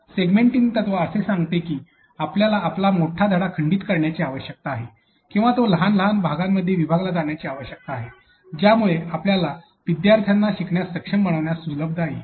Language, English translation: Marathi, Segmenting principle states that you need to break your continuous lesson or you need to into small small chunks that becomes easier for your students to be able to learn